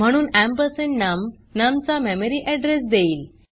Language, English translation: Marathi, So ampersand num will give the memory address of num